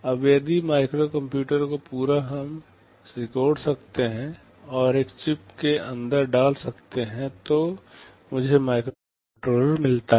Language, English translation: Hindi, Now, if the whole of the microcomputer we can shrink and put inside a single chip, I get a microcontroller